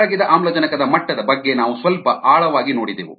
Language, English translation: Kannada, we looked at the dissolved oxygen aspect